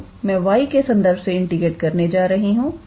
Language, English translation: Hindi, So, I am going to integrate with respect to y